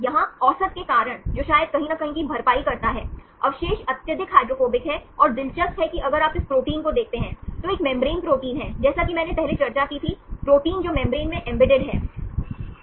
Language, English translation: Hindi, Here because of the average, that compensates maybe somewhere here, the residues are highly hydrophobic and interestingly if you see this protein, is a membrane protein as I discussed earlier, the proteins which are embedded in membranes right